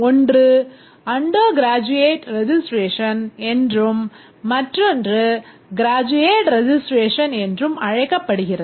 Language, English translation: Tamil, One is called as undergraduate registration and the graduate registration